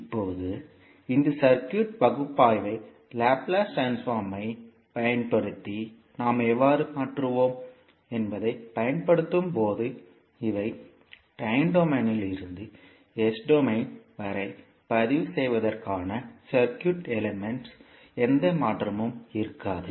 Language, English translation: Tamil, Now, while doing this circuit analysis using laplace transform how we will transform, these are circuit elements from time domain to s domain for register it, there will not be any change